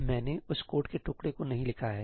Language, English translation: Hindi, I have not written that piece of code